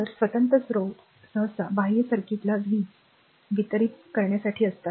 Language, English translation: Marathi, So, independent sources are usually meant to deliver power to the, your external circuit